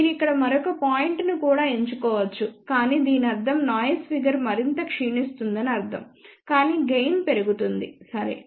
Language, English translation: Telugu, You can also choose another point over here, but then that would mean noise figure is deteriorating further, but gain will increase, ok